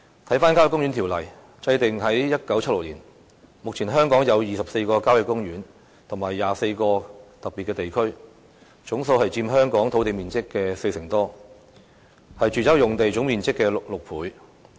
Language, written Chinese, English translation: Cantonese, 《郊野公園條例》於1967年制定，香港目前有24個郊野公園及22個特別地區，佔香港土地面積四成多，是住宅用地總面積的6倍。, The Country Parks Ordinance was enacted in 1967 . At present the 24 country parks and 22 special areas account for over 40 % of the total land area of Hong Kong six times the total area of our residential land